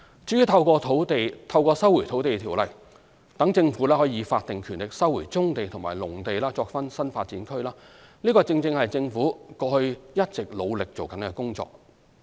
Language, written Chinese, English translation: Cantonese, 至於透過《收回土地條例》讓政府以法定權力收回棕地與農地作新發展區，正是政府過去一直努力的工作。, As for the resumption of brownfield sites and agricultural lands for the development of NDAs with the statutory powers under the Lands Resumption Ordinance it is something that the Government has been working hard on